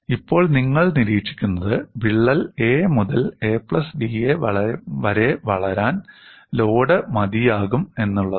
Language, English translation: Malayalam, Now, what you observe is, the load is sufficient for the crack to grow from a to a plus d a, when this happens, what will happen